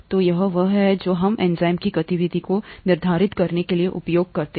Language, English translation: Hindi, So, this is what we use to quantify the activity of enzymes